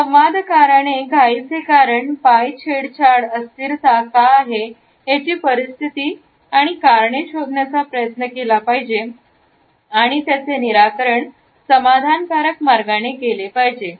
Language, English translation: Marathi, The interactant must try to find out the reasons of the hurry, reasons why the feet are teetering, why the unsteadiness is there to find out more about the situation and resolve it in a satisfactory manner